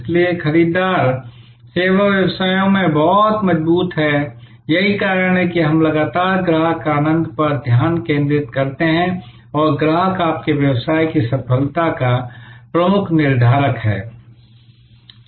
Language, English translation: Hindi, So, the buyers are very strong in service businesses, that is why we continuously focus on customer delight and customer is the key determinant of your business success